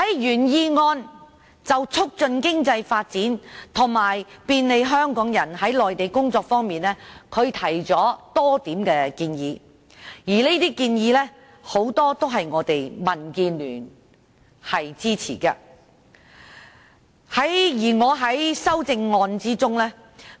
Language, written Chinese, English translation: Cantonese, 原議案就促進經濟發展及便利香港人在內地工作方面，提出了多項建議，而很多建議都是民主建港協進聯盟所支持的。, The original motion puts forth various proposals on fostering economic development and making it more convenient for Hong Kong people to work on the Mainland . And many proposals command the support of the Democratic Alliance for the Betterment and Progress of Hong Kong DAB